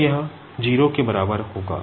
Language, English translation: Hindi, So, we will be getting that is equals to 0